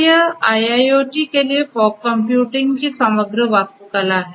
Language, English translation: Hindi, So, this is this overall architecture of fog computing for IIoT